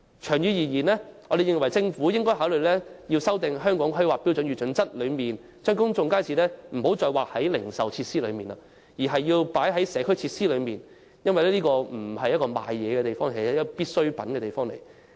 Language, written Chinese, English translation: Cantonese, 長遠而言，我們認為政府應考慮修訂《香港規劃標準與準則》，不要再把公眾街市視作"零售設施"，而應視之為"社區設施"，因為公眾街市不是銷售東西地方，而是販賣必需品的地方。, In the long run we think the Government should consider revising the Hong Kong Planning Standards and Guidelines to redesignate public markets as community facilities instead of retail facilities since daily necessities rather than commodities are sold in public markets